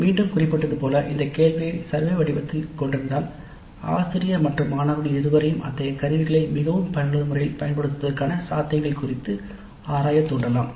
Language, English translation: Tamil, Again as I mentioned, having this question itself in the survey form may trigger both the faculty and students to explore the possibilities of using such tools in a more effective fashion